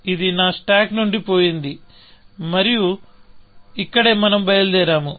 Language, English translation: Telugu, So, this is gone from my stack, and this is where, we had taken off